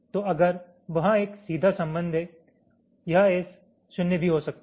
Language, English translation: Hindi, so if there has to, if there is a direct connection, this s can be zero also